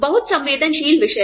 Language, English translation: Hindi, Very sensitive topic